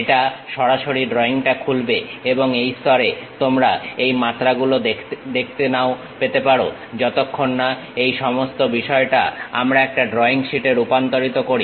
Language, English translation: Bengali, It straight away opens the drawing and these dimensions you may not see it at this level, unless we convert this entire thing into a drawing sheet